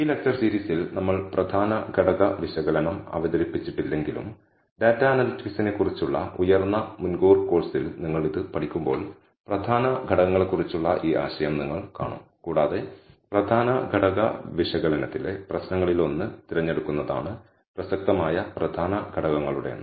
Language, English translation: Malayalam, Although we have not introduced principal component analysis in this series of lectures, nevertheless when you learn it in a higher advance course on data analytics, you will come across this idea of principal components and one of the problems in principal component analysis is to select the number of principal components that are relevant